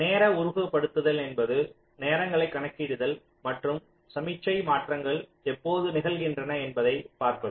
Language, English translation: Tamil, timing simulation means we simply calculate the times and see when signal transitions are talking place